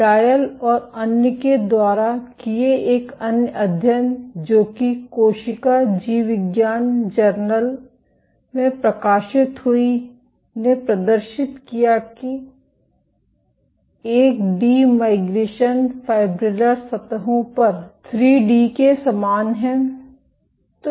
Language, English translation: Hindi, One other study by Doyle et al, published in J Cell Biol demonstrated that 1 D migration is similar to that in 3 D on fibrillar surfaces